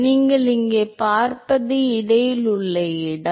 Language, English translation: Tamil, So, what you see here is the location in between